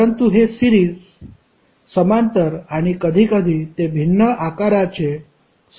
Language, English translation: Marathi, But it is a combination of series, parallel and sometimes it is having a different shape